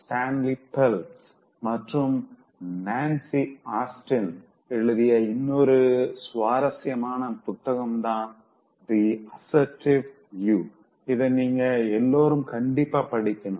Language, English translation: Tamil, There’s another interesting book that I want you to read completely that is written by Stanlee Phelps and Nancy Austin, The Assertive You: What is assertiveness according to these authors